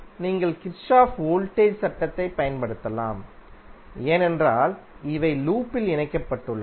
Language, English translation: Tamil, You can apply Kirchhoff’s voltage law, because it is, these are connected in loop